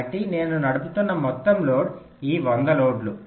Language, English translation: Telugu, so the total load that it is driving is those hundred loads